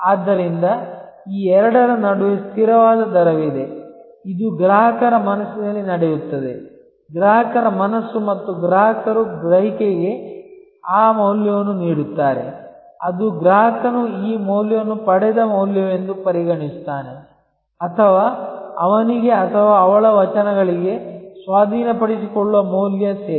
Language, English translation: Kannada, So, there is a constant rate of between these two, which happens in customers mind, consumers mind and the customers value perception that thing that is what the customer consider as this value derived or value delivered to him or her verses the cost of acquisition of the service